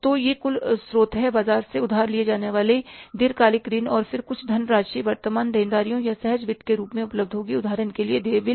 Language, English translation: Hindi, So, it is some total source long term loans to be borrowed from the market and then some funds will be available in the form of the, say, current liabilities or spontaneous finance